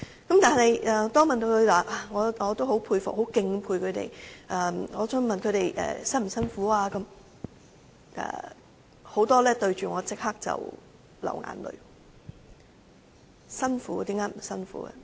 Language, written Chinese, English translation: Cantonese, 我當然很敬佩她們，但當我再問她們會否感到辛苦時，有很多人立刻流淚，說當然辛苦，怎會不辛苦呢？, Of course I respect them . But when I ask whether the job is harsh some of them break into tears immediately and say Of course the job is harsh how will that not be a harsh job?